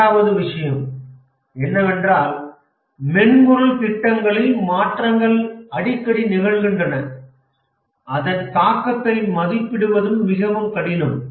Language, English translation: Tamil, The second thing is that changes are very frequent in software projects but then it is also very difficult to estimate the change impact